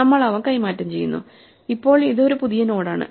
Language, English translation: Malayalam, So, we exchange them, right now this is a new node